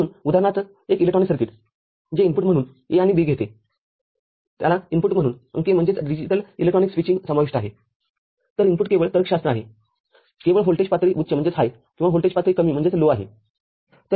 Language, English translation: Marathi, So, for example, an electronic circuit which takes up A and B as input, input to it is, digital electronics switching is involved so, input is only logic, only voltage level or high or voltage level low